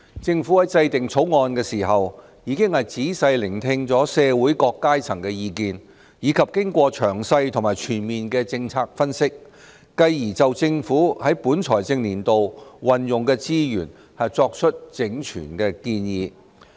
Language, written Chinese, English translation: Cantonese, 政府在制定《條例草案》時，已經仔細聆聽社會各階層的意見，以及經過詳細和全面的政策分析，繼而就政府在本財政年度運用的資源作出整全的建議。, In formulating the Bill the Government has listened meticulously to the views of all sectors of society and has upon conducting a detailed and comprehensive policy analysis worked out an all - inclusive proposal on resource utilization by the Government for the current financial year